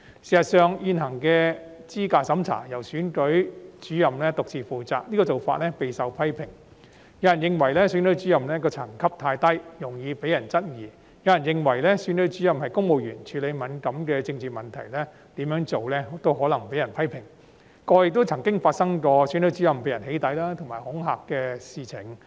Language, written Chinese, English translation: Cantonese, 事實上，現行的資格審查由選舉主任獨自負責，這種做法備受批評，有人認為選舉主任的層級太低，容易被人質疑，亦有人認為選舉主任是公務員，處理敏感的政治問題無論如何也可能被人批評，過去便曾發生選舉主任被人"起底"和恐嚇的事情。, Some people opined that Returning Officers are susceptible to challenges as their ranking is too low . Others reckoned that as civil servants Returning Officers are subject to criticisms anyhow when handling sensitive political issues . There have been incidents of Returning Officers being doxxed and threatened in the past